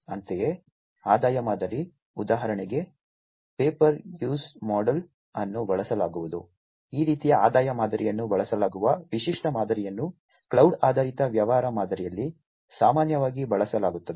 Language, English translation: Kannada, Likewise, the revenue model, for instance the whether the pay per used model is going to be used, this is the typical model that is used this kind of revenue model is typically used in the cloud based business model